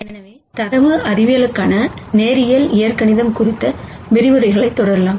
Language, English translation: Tamil, So, let us continue with our lectures on linear algebra for data science